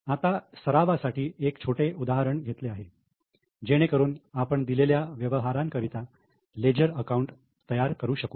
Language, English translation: Marathi, Now, a simple case is given so that we can prepare leisure accounts for the given transactions